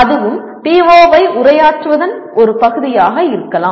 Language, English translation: Tamil, That also is a part of, can be part of addressing PO11